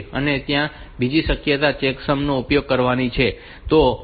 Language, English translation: Gujarati, So, another possibility is to use of checksum